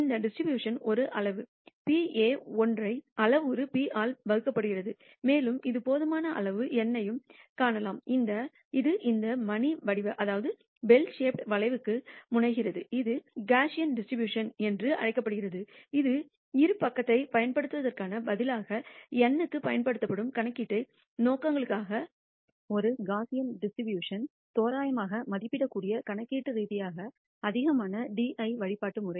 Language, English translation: Tamil, This distribution is characterized by a parameter p a single parameter p and we can also see for large enough n it tends to this bell shaped curve which is the what is called the Gaussian distribution , which will make use of for large n instead of using the binomial distribution which is computationally more di cult we can approximate by a Gaussian distribution for computational purposes